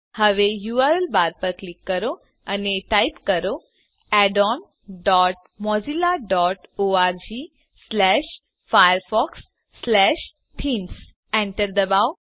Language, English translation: Gujarati, Now, click on the URL bar and type addons dot mozilla dot org slash firefox slash themes Press Enter